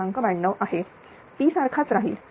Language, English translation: Marathi, 92 P is remains same 455